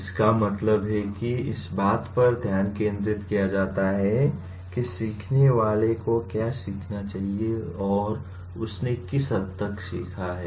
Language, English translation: Hindi, What it means is, the focus is on what the learner should learn and to what extent he has learnt